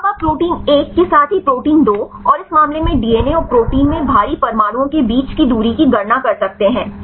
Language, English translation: Hindi, Now you can calculate the distance between any at heavy atoms in the protein 1 as well as protein 2 and in this case DNA and the protein